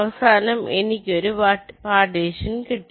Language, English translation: Malayalam, so finally, again, i get a partition